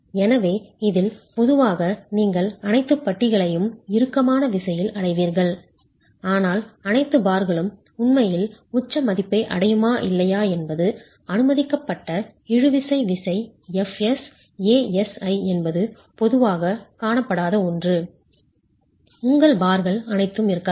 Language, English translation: Tamil, So, in this typically you will get all the bars in tension, but whether or not all the bars would actually reach the peak value, the permissible tensile force ASI into FS is something that is typically not seen